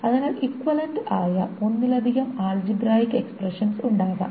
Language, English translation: Malayalam, So there can be multiple expressions in relation to algebra which are equivalent